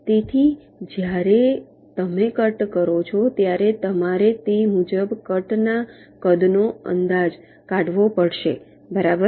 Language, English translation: Gujarati, so when you make a cut, you will have to estimate the cut size accordingly, right